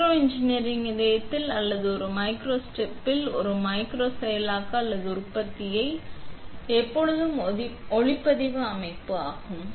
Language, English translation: Tamil, The heart of micro engineering or a micro processing or manufacturing at a micro scale is always a photolithography system